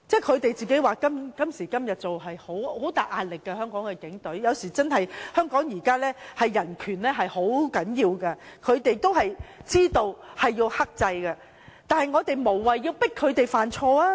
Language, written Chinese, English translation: Cantonese, 他們表示今時今日在香港擔任警察是很大壓力的，因為現在人權在香港是很重要的，他們也知道要克制，大家無謂要迫他們犯錯。, They say they have to face heavy pressure to be policemen in Hong Kong today for human rights are very important in Hong Kong now . They know they have to exercise restraint . We should not press them into making mistakes